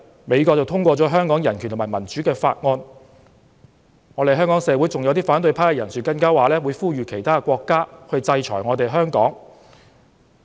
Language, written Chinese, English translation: Cantonese, 美國最近通過了《香港人權與民主法案》，香港社會上有些反對派人士還說會呼籲其他國家制裁香港。, The United States has recently passed the Hong Kong Human Rights and Democracy Act and some people from the opposition camp in Hong Kong have also said they would call on other countries to sanction Hong Kong